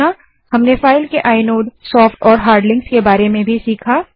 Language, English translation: Hindi, We also learnt about the inode, soft and hard links of a file